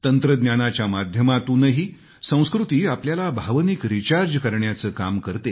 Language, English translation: Marathi, Even with the help of technology, culture works like an emotional recharge